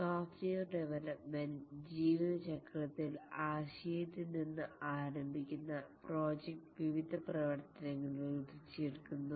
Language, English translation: Malayalam, In the software development lifecycle, the project starting from the concept is developed by various activities